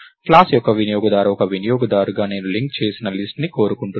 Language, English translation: Telugu, So, the user of the class, so as a user I want the linked list